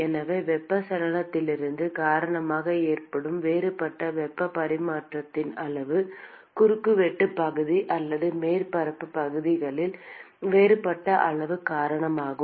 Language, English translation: Tamil, amount of heat transfer that occurs because of convections, is because of the differential amount of a cross sectional area or surface area which is present